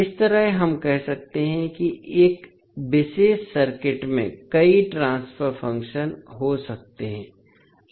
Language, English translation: Hindi, S,o in that way we can say a particular circuit can have many transfer functions